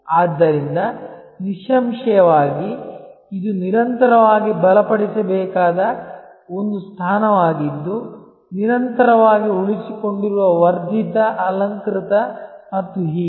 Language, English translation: Kannada, So; obviously, this is a position that must be continuously strengthen continuously retained enhanced embellished and so on